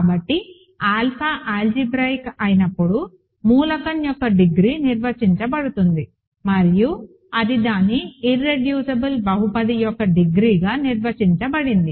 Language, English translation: Telugu, So, the degree of an element was defined when alpha is algebraic and it was defined to be simply the degree of its irreducible polynomial